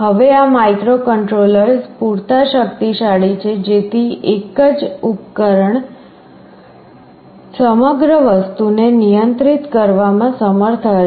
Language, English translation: Gujarati, Now these microcontrollers are powerful enough, such that a single such device will be able to control the entire thing